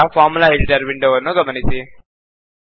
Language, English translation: Kannada, Now notice the Formula editor window